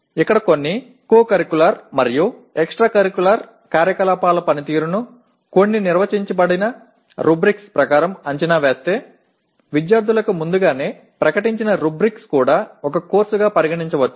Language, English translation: Telugu, And here performance of any co curricular and extra curricular activities if they are evaluated as per some declared rubrics, rubrics declared in advance to the students can also be treated as a course